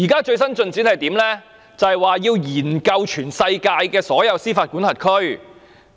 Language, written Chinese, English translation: Cantonese, 最新的進展是政府擬研究全世界所有司法管轄區。, The latest development is that the Government intends to study the practices of all jurisdictions around the world